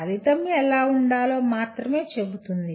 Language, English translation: Telugu, It only says what should be the outcome